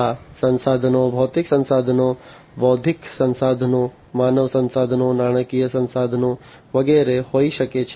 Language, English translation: Gujarati, These resources could be physical resources, intellectual resources, human resources, financial resources, and so on